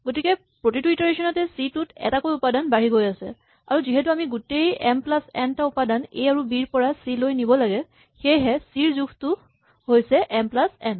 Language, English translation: Assamese, So clearly C grows by one element with each iteration and since we have to move all m plus n elements from A and B to C, the size of C is m plus n